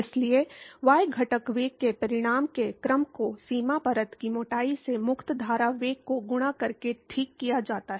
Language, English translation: Hindi, So, the order of magnitude of the y component velocity is scaled as the free stream velocity multiplied by the boundary layer thickness alright